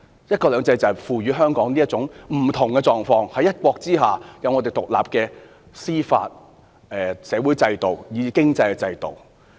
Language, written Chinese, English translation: Cantonese, "一國兩制"賦予香港有這種不同的狀況，可以在"一國"之下擁有獨立的司法、社會和經濟制度。, We are precisely defending one country two systems . One country two systems has vested in Hong Kong this different status allowing us to have independent judicial social and economic systems